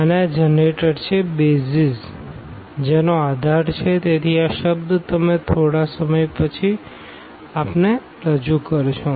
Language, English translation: Gujarati, And, these generators are the BASIS are the BASIS of; so, this term we will introduce little later